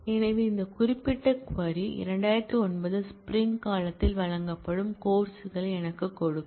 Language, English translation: Tamil, So, this particular query will give me the courses offered in spring 2009